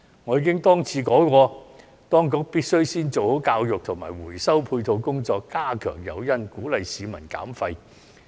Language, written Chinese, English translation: Cantonese, 我已經多次說過，當局必須先做好教育及回收配套工作，加強誘因，鼓勵市民減廢。, As I have said time and again the Administration should make it a priority to step up education efforts and complementary measures on recycling and provide stronger incentives to encourage waste reduction